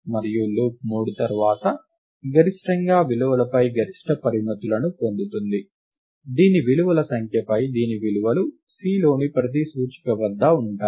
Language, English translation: Telugu, And loop 3 then gets upper bounds on the values atmost on the values whose on the number of terms, whose values are atmost each index in C